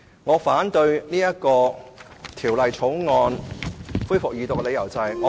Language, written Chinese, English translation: Cantonese, 我反對《條例草案》恢復二讀的理由是，......, The reason for me to oppose the resumed Second Reading of the Bill is my refusal to let laws serve politics